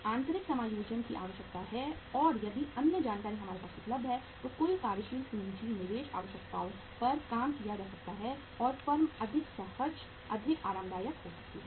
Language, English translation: Hindi, Internal adjustments are required and if other information is available with us then the total working capital investment requirements can be worked out and the firm can be more smooth, more comfortable